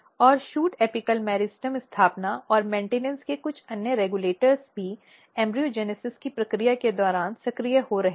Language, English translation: Hindi, And some other regulators of shoot apical meristem establishment and maintenance are getting also activated during the process of embryogenesis